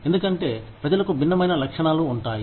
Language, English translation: Telugu, Because, people have different characteristics